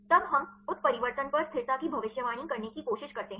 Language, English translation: Hindi, Then we try to predict the stability upon mutation right